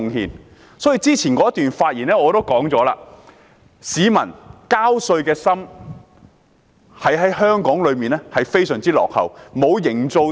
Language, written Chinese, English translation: Cantonese, 我在之前的發言中也提到，市民交稅的心在香港是相當落後的。, As I said in my previous speech Hong Kong people have an outmoded attitude towards paying taxes